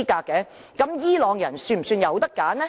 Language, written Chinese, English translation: Cantonese, 這樣伊朗人是否有選擇呢？, So does Iranian have choices in its election?